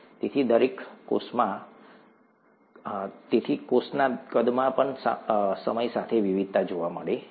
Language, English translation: Gujarati, So there is variation with time in the cell size also